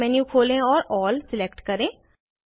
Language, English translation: Hindi, Open the Pop up menu, select Style